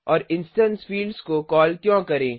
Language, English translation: Hindi, Now let us see why instance fields are called so